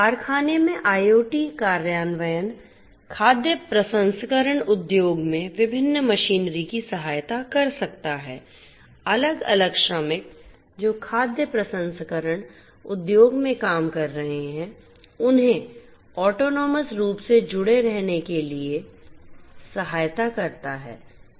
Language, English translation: Hindi, In the factory IoT implementations can help the different machineries in the food processing industry, the different workers who are working in the food processing industry to remain connected autonomously